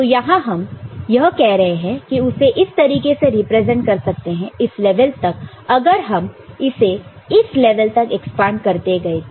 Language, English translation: Hindi, We are just saying that this is the way you can represent up to this level you can if you know, go on expanding it to that level